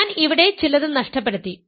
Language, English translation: Malayalam, So, I this is something I missed here